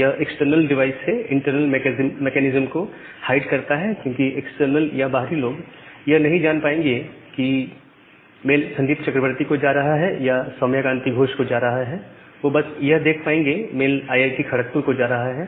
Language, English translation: Hindi, So, this also hide the internal machines from the external device because the external people now, they are not able to see whether the mail is going to Sandip Chakraborty or the mail is going to Soumukh K Gosh rather they are just seeing that the mail is going to IIT Kharagpur